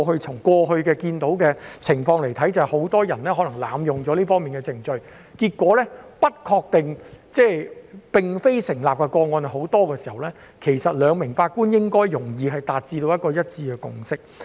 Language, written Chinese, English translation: Cantonese, 從過去看到的情況來說，很多人濫用這方面的程序，而結果上訴不成功的個案十分多，其實兩名法官應該容易達成一致共識。, Past experience tells us that many people abused the procedure concerned and as a result there were a lot of unsubstantiated cases of appeal . In fact it should be easier for two judges to reach a consensus